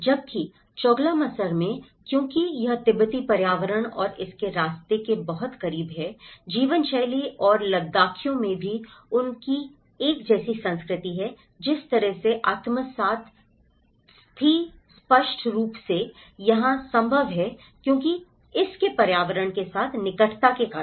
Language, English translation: Hindi, Whereas, in Choglamsar because it is very close to the Tibetan environment and the way of lifestyle and the Ladakhis also they have a similar culture, in that way assimilation was clearly possible here because of its close proximity to its environment